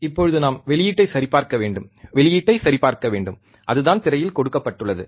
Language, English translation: Tamil, Now we have to check the output, we have to check the output, that is what is given in the screen